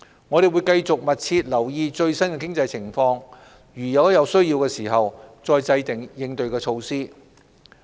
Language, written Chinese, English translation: Cantonese, 我們會繼續密切留意最新經濟情況，在有需要時制訂應對措施。, We will continue to keep a close watch on the latest economic conditions and formulate counter - measures when necessary